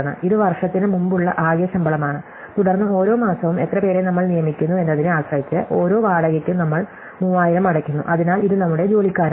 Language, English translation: Malayalam, So, this is the total salary before the year, then depending on how many people we hire in each month, for each hire we pay 3000, so this is our hiring bill